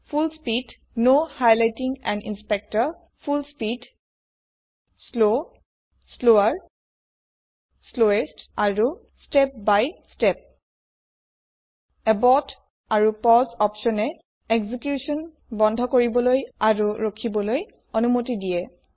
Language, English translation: Assamese, Full speed, Full speed, Slow, Slower, Slowest and Step by Step Abort and pause options allow you to stop and pause the executions respectively